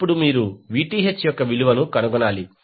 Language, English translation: Telugu, Now, you need to find the value of Vth